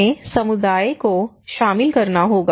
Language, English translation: Hindi, We have to involve community